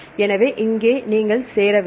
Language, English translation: Tamil, So, here you need to join